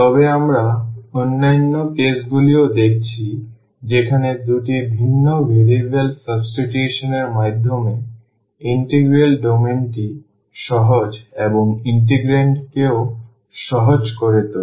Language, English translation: Bengali, But we have seen the other cases as well where by substituting two different variables makes the domain of the integral easier and also the integrand easier